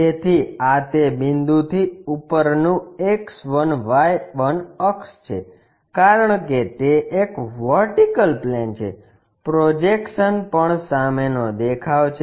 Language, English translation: Gujarati, So, this is the X1Y1 axis above that point because it is a vertical plane, projection also front view